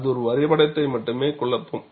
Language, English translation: Tamil, That will only confuse the diagram